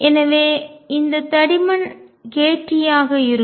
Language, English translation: Tamil, So, this thickness is going to be k t